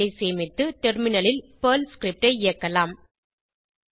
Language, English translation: Tamil, Save the file and execute the Perl script on the Terminal